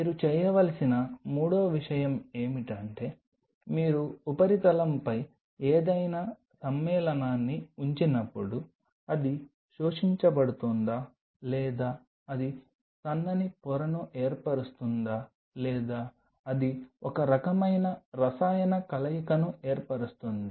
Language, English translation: Telugu, The third thing what you have to do is now when you are putting any compound on the substrate whether it is getting absorbed, or whether it is forming a thin film, or it is forming some kind of chemical coupling